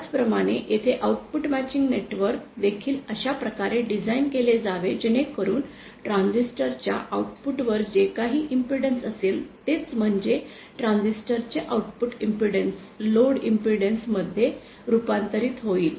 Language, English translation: Marathi, Similarly here also my output matching network has to be designed in such a way so that my at the output of the transistor whatever impedance exists, that is the output impedance of the transistor is converted to the load impedance